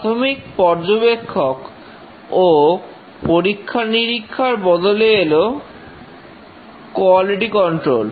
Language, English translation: Bengali, The initial inspection and testing were superseded by quality control